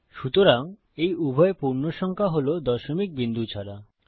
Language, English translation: Bengali, So, these are both integer numbers with no decimal point